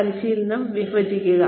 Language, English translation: Malayalam, Break up the training